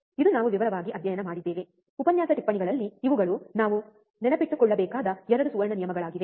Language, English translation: Kannada, This is also we have studied in detail, right in lecture notes that, these are the 2 golden rules that we have to remember